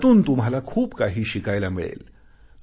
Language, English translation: Marathi, This experience will teach you a lot